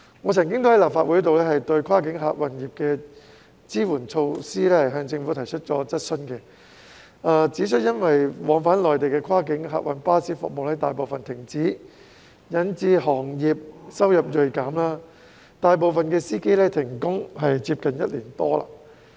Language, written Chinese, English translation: Cantonese, 我曾經在立法會就跨境客運業的支援措施向政府提出質詢，指出因為往返內地的跨境客運巴士服務大部分停止，引致行業收入銳減，大部分司機停工接近一年多。, In my question to the Government in the Legislative Council on support measures for the cross - boundary passenger service sector I pointed out that as the services of most cross - boundary passenger coaches travelling to and from the Mainland have been suspended the income of the sector has been reduced drastically and most drivers have been idle for almost a year